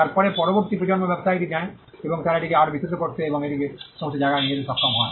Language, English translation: Bengali, Then the next generation takes the business and they are able to broaden it and take it to all places